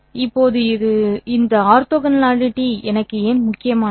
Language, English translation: Tamil, Now why is this orthogonality important for me